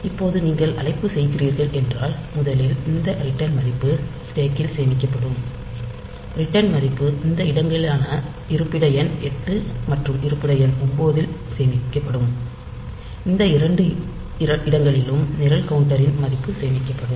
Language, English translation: Tamil, So, first this return value has to be saved onto the stack, so the return value will be saved in these two location that is location number 8 and location number 9; in these two locations the program counter value will be saved